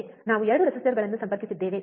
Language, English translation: Kannada, We have connected 2 resistors, right